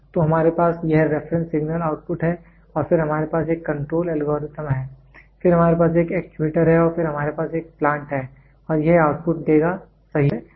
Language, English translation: Hindi, So, we have, this is the reference signal input and then we have a control algorithm, then we have an actuator, then we have a plant and that will give output, right